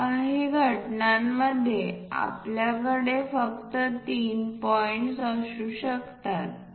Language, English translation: Marathi, In certain instances, we might be having only three points